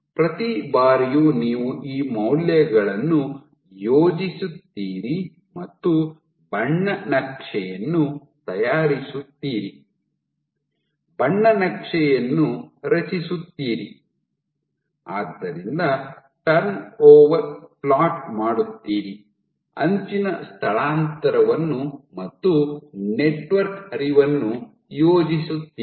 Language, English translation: Kannada, You have at each time you, at each time step you plot these values and make a colour map, you generate a colour map, so, you plot turn over, you plot edge displacement, and you plot network flow